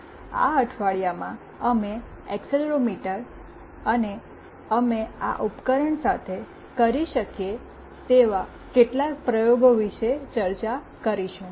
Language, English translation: Gujarati, In this week, we will be discussing about Accelerometer and some of the experiments that we can do with this device